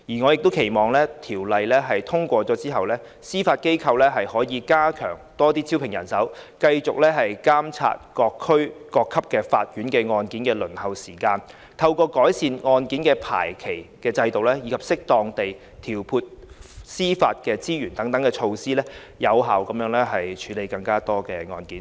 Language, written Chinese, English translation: Cantonese, 我亦期望《條例草案》通過後，司法機構可以加強招聘人手，繼續監察各級法院案件的輪候時間，透過改善案件的排期制度及適當地調配司法資源等措施，有效地處理更多案件。, I also hope that after the passage of the Bill the Judiciary will step up its recruitment continue to monitor the waiting time for cases at all various levels of court and effectively handle more cases through measures such as improving the scheduling system and appropriate allocation of judicial resources